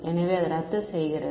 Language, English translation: Tamil, So, it cancels off right